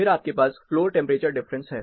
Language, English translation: Hindi, Then you have floor temperature differences